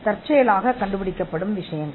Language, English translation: Tamil, Things that are discovered by accident